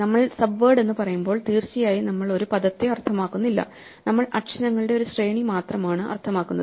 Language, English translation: Malayalam, When we say subword, of course we do not mean a word in the sense; we just mean a sequence of letters